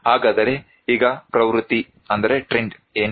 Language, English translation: Kannada, So, what is the trend now